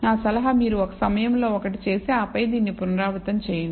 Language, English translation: Telugu, My suggestion is you do one at a time and then repeat this exercise for yourself